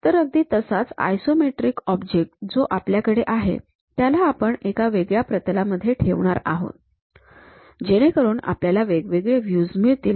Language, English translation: Marathi, So, the same isometric object what we have it; we are going to have it in different plane, so that we will be having different views